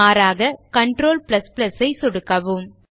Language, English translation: Tamil, Alternately, you can press Ctrl + +